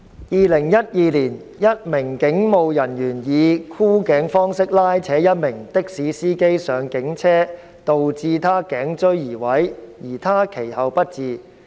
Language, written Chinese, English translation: Cantonese, 2012年，一名警務人員以箍頸方式拉扯一名的士司機上警車導致他頸椎移位，而他其後不治。, In 2012 a police officer dragged a taxi driver into a police car by means of a chokehold causing him to suffer from a cervical vertebra dislocation and the man subsequently died